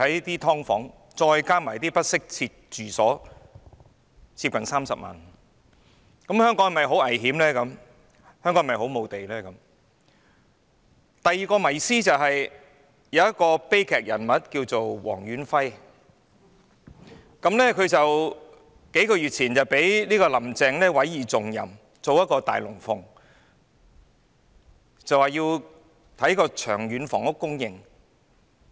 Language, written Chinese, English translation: Cantonese, 第二個迷思，是一個名為黃遠輝的悲劇人物。他在數月前獲"林鄭"委以重任，上演一齣"大龍鳳"，研究長遠房屋供應。, The second myth involves the tragic character Stanley WONG who was entrusted with an important tasked by Carrie LAM a few months ago to stage a big show for studying the long - term housing supply